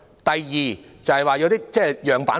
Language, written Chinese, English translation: Cantonese, 第二，就是提交一些樣辦貨。, Secondly some model markets should be established